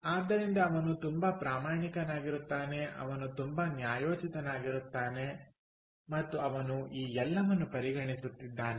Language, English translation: Kannada, so he is being very honest, he is going to being very fair and he is considering all this